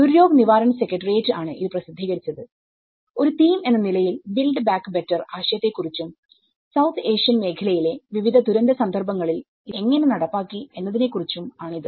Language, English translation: Malayalam, So, this has been published by Duryog Nivaran secretariat and this is about the build back better concept as a theme and how it has been implemented in different disaster context in the South Asian region